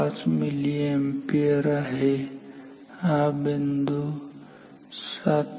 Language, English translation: Marathi, 5 milliampere, this point is 7